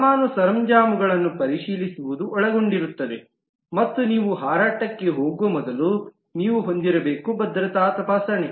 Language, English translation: Kannada, actually it involves checking in of the baggage and before you can get into the flight you need to have a security screening